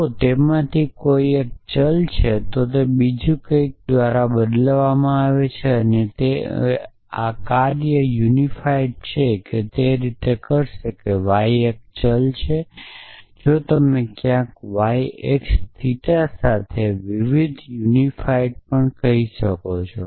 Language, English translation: Gujarati, So, if one of them is a variable then it is a candidate for being substituted by something else and that this function unify will do likewise if y is a variable you can also call var unify with y x theta somewhere